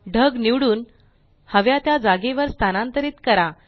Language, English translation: Marathi, Now select the cloud and move it to the desired location